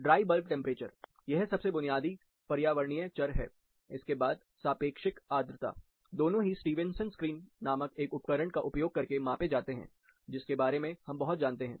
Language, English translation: Hindi, Dry bulb temperature that is the most basic parameter environmental variable, followed by relative humidity, both are measured by using a device called Stevenson screen, which we know very much